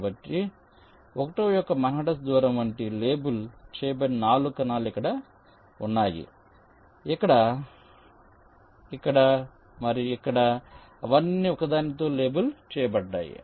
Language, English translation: Telugu, so the four cells which are labeled, which are like a manhattan distance of one, are here, here, here and here they are all labeled with one